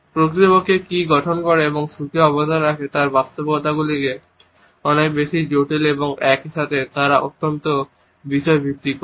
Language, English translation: Bengali, Realities of what truly constitutes and contributes to happiness are much more complex and at the same time they are also highly subjective